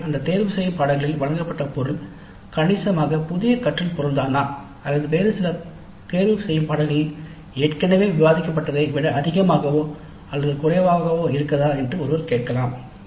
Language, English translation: Tamil, So one can ask whether the material provided in that elective course is substantially new learning material or is it more or less what is already discussed in some other elective courses